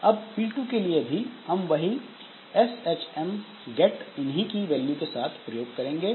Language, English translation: Hindi, Now, P2, for P2 also it will be using a S HM gate with the same key value